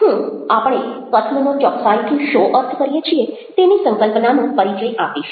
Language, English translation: Gujarati, i will be introducing the concept of what exactly we mean by speaking